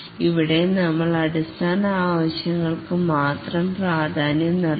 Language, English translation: Malayalam, Here we'll emphasize only on the basic concepts